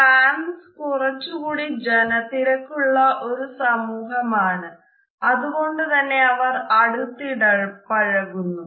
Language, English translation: Malayalam, France is a relatively crowded society and the people experience greater physical contact